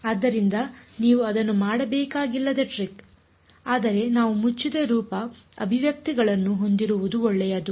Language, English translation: Kannada, So, that is the trick you do not have to do it, but we it is good to have closed form expressions